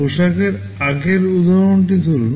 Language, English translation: Bengali, Take the earlier example of clothes